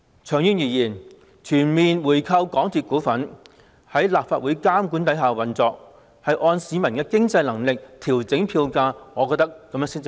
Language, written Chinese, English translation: Cantonese, 長遠而言，我認為全面回購港鐵公司股份，在立法會監管之下運作，按市民的經濟能力調整票價，才是合理的做法。, In the long run I think it is only reasonable to buy back all the shares of MTRCL so that its operation can be brought under monitoring by the Legislative Council and fares adjusted according to the financial capacity of the people